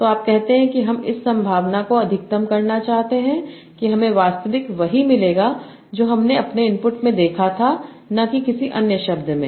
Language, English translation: Hindi, So you will say that I want to maximize the probability that I will obtain the actual word that I saw in my input and not any other word